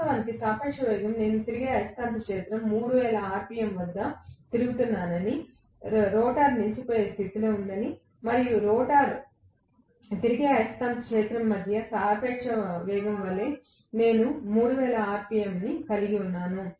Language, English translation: Telugu, Originally the relative velocity if I say that the revolving magnetic field was rotating at 3000 rpm, the rotor was at standstill condition, I was having 3000 rpm as the relative velocity between the rotor and the revolving magnetic field